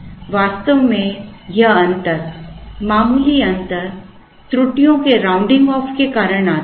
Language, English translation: Hindi, In fact, this difference, slight difference comes more because of the rounding of errors